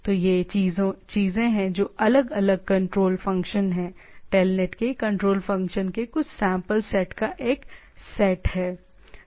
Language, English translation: Hindi, So, these are the things which are which are different control function a set of some sample set of control functions of the TELNET